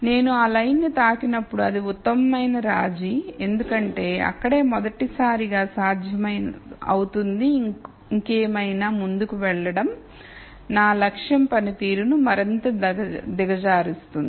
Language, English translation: Telugu, So, when I just touched that line that is the best compromise because that is where I become feasible for the rst time and going any further would only make my objective function worse